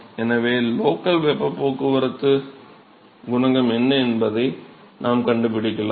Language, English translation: Tamil, So, we can find out what is the local heat transport coefficient